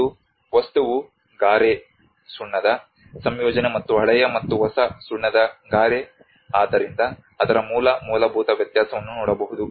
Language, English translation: Kannada, And also the material the composition of mortar the lime and the old and new lime mortar so one can see that the basic fundamental difference of it